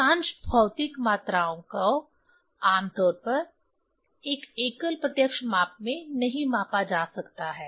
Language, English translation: Hindi, Most physical quantities usually cannot be measured in a single direct measurement